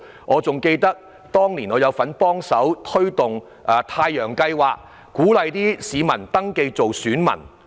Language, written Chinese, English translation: Cantonese, 我記得當年我也有份參與推動"太陽計劃"，鼓勵市民登記做選民。, I remember that I had also taken part in the promotion of the Solar Project which encourages members of the public to register as voters